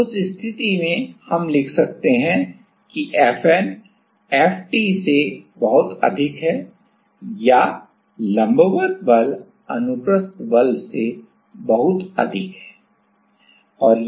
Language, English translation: Hindi, So, in that case we can write that FN is very very greater than FT or the normal force is much higher than the transverse force